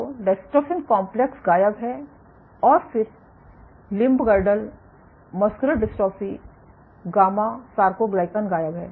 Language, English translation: Hindi, So, the dystrophin complex is missing, and then limb girdle muscular dystrophy gamma soarcoglycan is missing